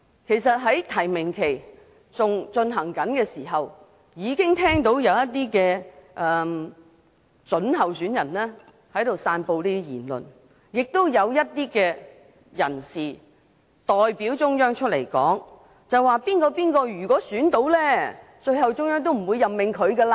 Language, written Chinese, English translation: Cantonese, 其實在提名期間，已經聽到一些準候選人在散布言論，也有一些代表中央的人士出來說，如果某人當選，中央最後都不會任命。, In fact during the nomination period some prospective candidates have spread some alleged views while some people representing the Central Peoples Government have come forward and said that if a certain candidate was elected the Central Peoples Government would not make the appointment in the end